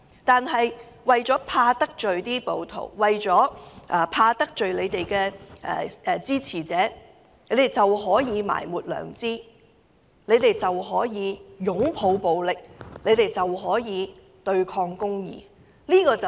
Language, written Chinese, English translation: Cantonese, 但是，為免得罪暴徒，為免得罪他們的支持者，他們便可以埋沒良知，他們便可以擁抱暴力，他們便可以對抗公義。, However in order not to offend rioters or to offend their supporters they can run against their conscience they can embrace violence and they can fight against justice